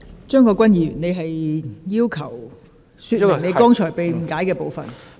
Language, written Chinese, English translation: Cantonese, 張國鈞議員，你是否要求澄清剛才發言被誤解的部分？, Mr CHEUNG Kwok - kwan do you wish to elucidate the part of your speech which has been misunderstood?